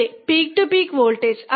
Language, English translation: Malayalam, Yeah, yes, peak to peak voltage